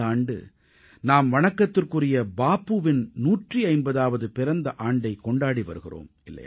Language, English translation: Tamil, This year we are celebrating the 150th birth anniversary of revered Bapu